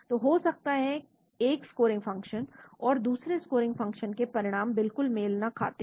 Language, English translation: Hindi, So the results from one scoring function and another scoring function need not match at all